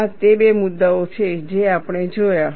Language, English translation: Gujarati, These are the two issues we have looked at